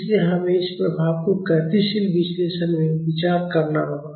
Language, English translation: Hindi, So, we have to consider this effect in the dynamic analysis